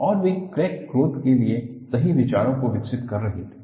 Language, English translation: Hindi, And, he could develop right ideas for crack growth